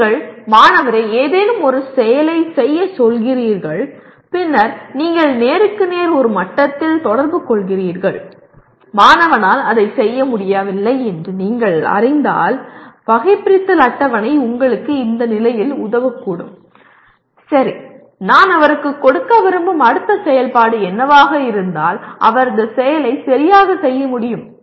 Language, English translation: Tamil, You make the student to do some activity and then you interact at one to one level and if you find the student is unable to do that, the taxonomy table can help you and say okay what is the next activity that I want to give him so that he can perform this activity properly